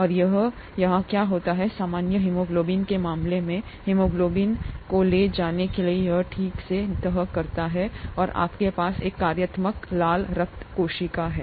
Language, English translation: Hindi, And that is what happens here, in the case of normal haemoglobin it folds properly to carry haemoglobin and you have a functional red blood cell